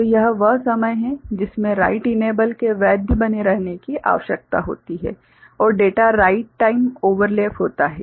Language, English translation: Hindi, So, this is the time in which write enable need to remain valid and data write time overlap